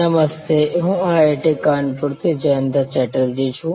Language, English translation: Gujarati, Hello, this is Jayanta Chatterjee from IIT, Kanpur